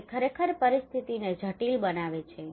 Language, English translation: Gujarati, it actually makes the situation complex